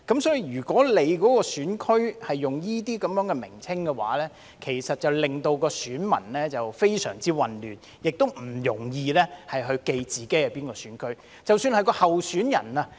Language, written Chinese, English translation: Cantonese, 所以，如果選區用這些名稱，其實會令選民非常混亂，亦不容易記住自己屬於哪個選區。, Therefore if these names are used for GCs electors will indeed be very confused and find it difficult to remember which GC they belong to